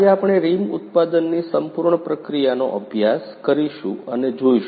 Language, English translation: Gujarati, Today we will study and see the complete process of rim production